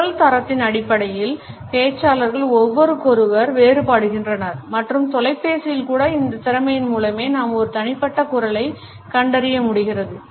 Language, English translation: Tamil, Speakers differ from each other in terms of voice quality and we are able to recognize individual voice even on phone because of this capability only